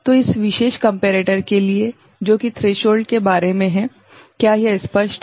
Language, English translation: Hindi, So, it is for this particular comparator it is about the threshold, is it clear